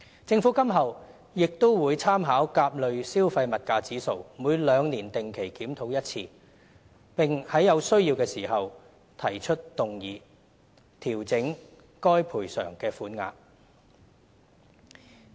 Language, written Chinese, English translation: Cantonese, 政府今後亦會參考甲類消費物價指數，每兩年定期檢討一次，並在有需要時提出議案，調整該賠償的款額。, 22 to 220,000 according to the Consumer Price Index A CPIA . In the future the Government will also conduct routine reviews every two years by making reference to CPIA and move a motion to adjust the bereavement sum if necessary